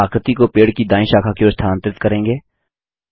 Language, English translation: Hindi, Now move the shape to the right branch of the tree